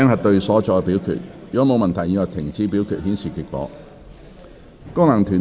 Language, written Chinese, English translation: Cantonese, 如果沒有問題，現在停止表決，顯示結果。, If there are no queries voting shall now stop and the result will be displayed